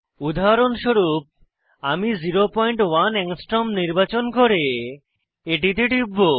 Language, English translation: Bengali, For example, I will select 0.1 Angstrom and click on it